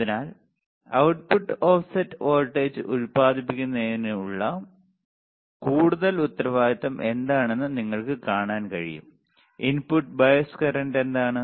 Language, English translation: Malayalam, So, you can see that what is the more responsible for the output for producing the output offset voltage; input bias current is what